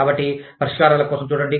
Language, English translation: Telugu, So, look for solutions